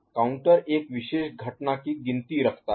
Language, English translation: Hindi, Counter keeps count of a particular event